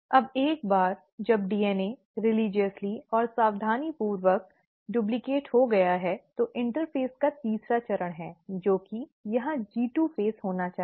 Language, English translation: Hindi, Now once the DNA has been religiously and cautiously duplicated, the interphase has the third phase, which is, I am sorry it should be a G2 phase here